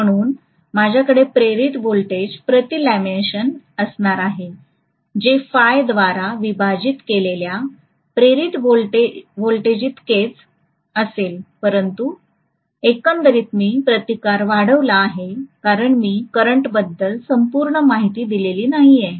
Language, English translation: Marathi, So I am going to have the voltage induced per lamination will be equal to whatever is the voltage induced divided by phi but overall, I have increased the resistance because I have not given a thoroughfare for the current